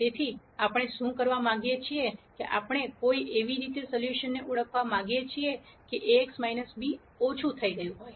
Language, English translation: Gujarati, So, what we want to do is, we want to identify a solution in such a way that Ax minus b is minimized